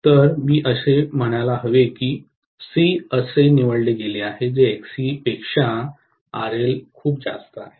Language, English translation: Marathi, So, I should say that C is chosen such that RL is much much higher than XC, right